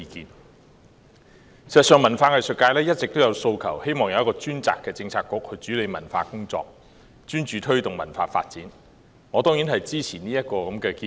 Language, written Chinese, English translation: Cantonese, 事實上，文化藝術界一直有訴求，希望有一個專責的政策局主理文化工作，專注推動文化發展，我當然支持這項建議。, In fact the setting up of a Policy Bureau dedicated to administering cultural work which will focus on fostering cultural development has been the long - standing aspiration of the culture and arts sector . I certainly support this suggestion